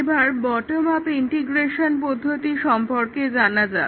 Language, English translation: Bengali, Now, let us look at the bottom up integration technique